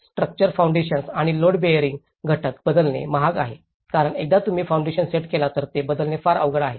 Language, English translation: Marathi, The structure, the foundations and load bearing element are expensive to change because in the structure, once if you setup the foundation, it is very difficult to change